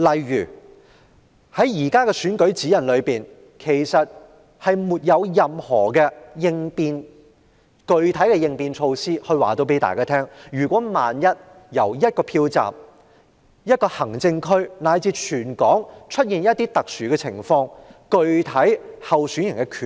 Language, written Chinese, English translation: Cantonese, 現行的選舉活動指引並無任何具體應變措施，說明萬一某個票站、某個行政區以至全港出現特殊情況，候選人將有何權利。, At present there is no specific contingency provision in the guidelines on election - related activities stipulating the rights of a candidate in case any special circumstances come up in a polling station a district or across the territory